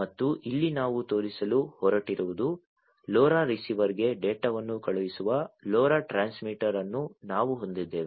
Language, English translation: Kannada, And here what we are going to show is that we have a LoRa transmitter sending the data to the LoRa receiver